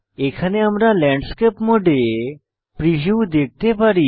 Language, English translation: Bengali, Here we can see the preview of Landscape Orientation